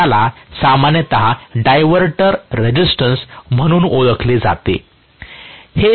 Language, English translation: Marathi, So, this is generally known as diverter resistance